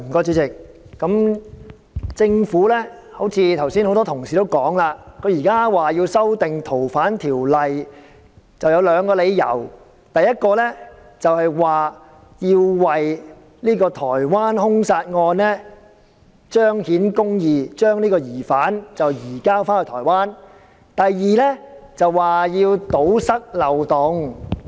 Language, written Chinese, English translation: Cantonese, 主席，很多同事剛才談到，政府現在提出修訂《逃犯條例》，理由有二：第一，要為去年在台灣發生的兇殺案受害人彰顯公義，將疑犯移交到台灣；第二，為了堵塞漏洞。, President many colleagues have said that there are two reasons for the Governments proposing to amend the Fugitive Offenders Ordinance first to enable justice to be done in the homicide case in Taiwan by surrendering the suspect to Taiwan; and second to plug a loophole